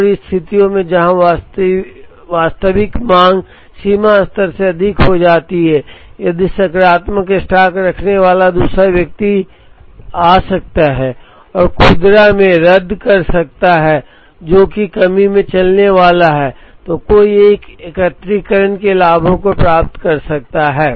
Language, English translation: Hindi, And in situations, where the actual demand exceeds the reorder level, if the other one that has positive stock can come and help the retail, which is going to run into shortage, one can achieve the benefits of aggregation